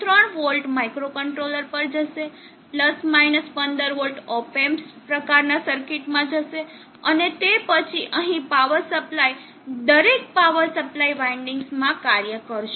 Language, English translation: Gujarati, 3v will go to microcontroller, the + 15v will go to the op amps type of circuits and like that then power supply here each power supply winding will have a function